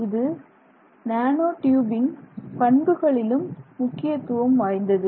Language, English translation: Tamil, It also actually impacts very significantly on the properties of the nanotube